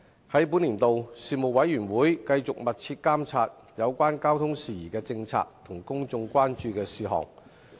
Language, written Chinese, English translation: Cantonese, 在本年度，事務委員會繼續密切監察有關交通事宜的政策和公眾關注的事項。, In this year the Panel continued to closely monitor policies and issues of public concern relating to transport matters